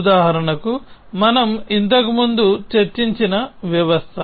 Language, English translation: Telugu, So, for example, the system that we discussed earlier